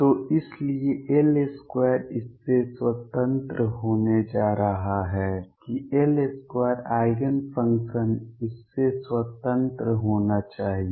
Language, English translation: Hindi, So, therefore, L square is going to be independent of that L square Eigenfunction should be independent of that